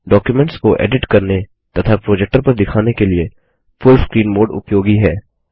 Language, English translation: Hindi, The full screen mode is useful for editing the documents as well as for projecting them on a projector